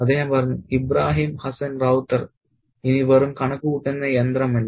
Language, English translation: Malayalam, And he says, Ibrahim Hassan Rauta is no longer a mere adding machine